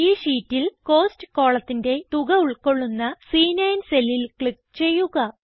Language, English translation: Malayalam, In this sheet, we will click on the cell C9 which contains the total under the column Cost